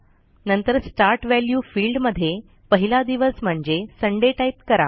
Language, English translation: Marathi, In the Start value field, we type our first day of the week, that is, Sunday